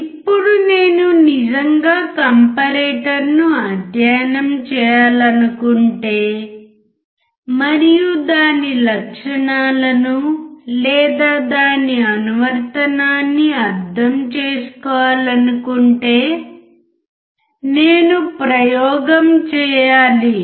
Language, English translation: Telugu, Now, if I really want to study the comparator and understand its characteristics or its application, I have to perform the experiment